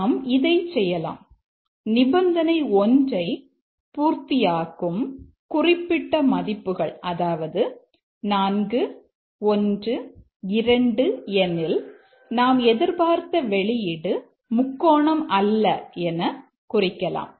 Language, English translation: Tamil, We can do that right the specific value which will satisfy condition 1 which is 4 1 2 and then we say the expected output is not a triangle